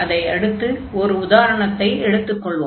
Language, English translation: Tamil, So, let us go to the example here